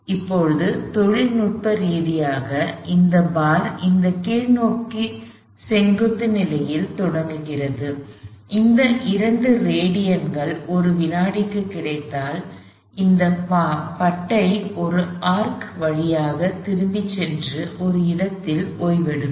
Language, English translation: Tamil, Now, technically this bar started in this downwards vertical position and if I get this 2 radians per second, this bar would travels an arc and come to rest at that point